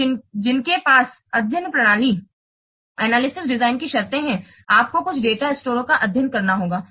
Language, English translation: Hindi, So, those who have studied system analysis design terms, you must have studies some data stores